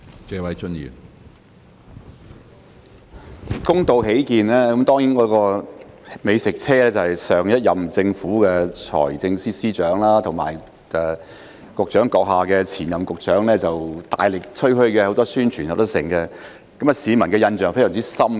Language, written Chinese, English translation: Cantonese, 公道起見，美食車是上一任政府的財政司司長及局長閣下的前任局長大力吹噓的，有很多宣傳，市民的印象非常深刻。, To be fair the food truck was boasted about by the Financial Secretary of the previous Government and the predecessor of the Secretary . There was a lot of publicity and the public was very impressed